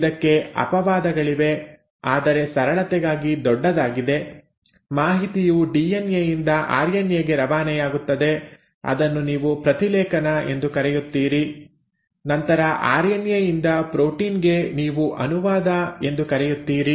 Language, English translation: Kannada, There are exceptions to it but by and large for simplicity's sake, the information flows from DNA to RNA which is what you call as transcription; then from RNA into protein which is what you call as translation